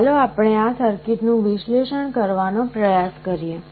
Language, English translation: Gujarati, Let us try to analyze this circuit